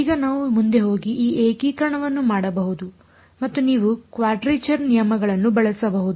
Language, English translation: Kannada, Now we can go ahead and do this integration and you can either use quadrature rules